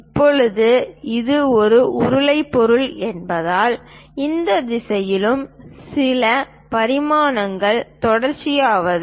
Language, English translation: Tamil, Now, because it is a cylindrical object, there are certain dimensions associated in this direction also